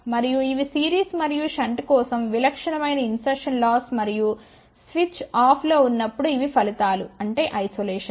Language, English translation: Telugu, And these are the typical insertion loss for series and shunt and these are the results when switch is off; that means isolation